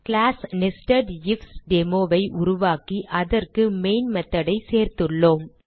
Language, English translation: Tamil, We have created a class NesedIfDemo and added the main method to it